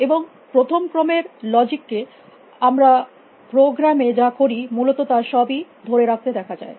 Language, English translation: Bengali, And first order logic can be seen into capture everything appear doing in programming essentially